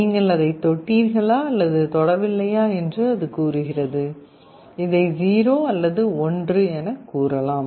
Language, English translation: Tamil, It says whether you have touched it or not touched it, 0 or 1